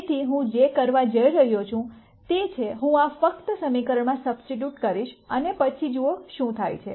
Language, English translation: Gujarati, So, what I am going to do is, I am going to simply substitute this into the equation and then see what happens